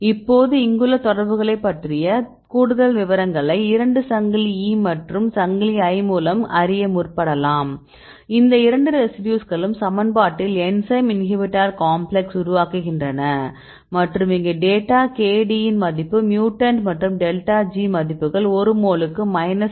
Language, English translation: Tamil, So, now we give the more details about the interactions here there are two chains chain E and chain I, these two residues are making the making the complex these equation in enzyme inhibitor complex and here is the data is a value of K D and you have the mutant values and delta G is minus 17